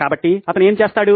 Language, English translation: Telugu, So what does he do